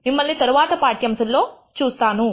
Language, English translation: Telugu, See you in the next lecture